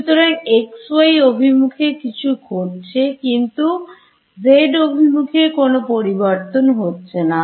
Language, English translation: Bengali, So, something is happening in xy, but nothing changes in the z direction